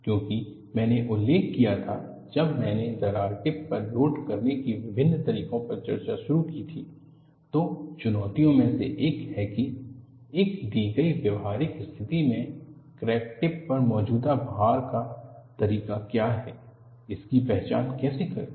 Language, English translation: Hindi, Because I had mentioned, when I started discussing on different modes of loading at the crack tip, one of the challenges is, in a given practical situation, how to identify what is the mode of loading existing at the crack tip